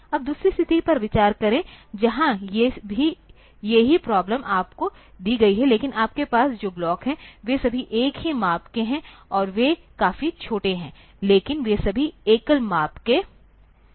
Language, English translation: Hindi, Now, consider the other situation, where the same problem is given to you, but the blocks that you have, they are all of a single size and they are quite small, but they are of all single size